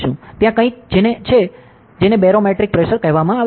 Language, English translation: Gujarati, So, there is something called as barometric pressure